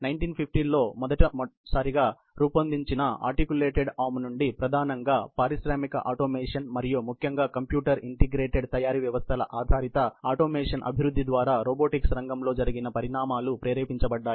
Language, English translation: Telugu, The developments in the area of robotics, since the first articulated arm in 1950, have been motivated primarily by development in the area of industrial automation and particularly, computer integrated manufacturing systems based automation in general